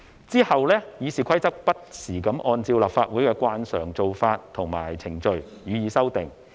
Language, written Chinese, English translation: Cantonese, 其後《議事規則》不時按照立法會的慣常做法和程序予以修訂。, RoP was then constantly amended in accordance with the standing practices and procedures of the Legislative Council